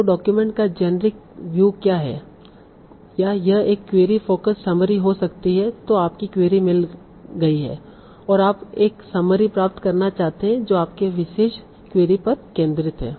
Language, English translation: Hindi, So what is the generic view of the document or it can be a query focus summary summary that is you have a particular query and you want to get a summary that is focused on your particular query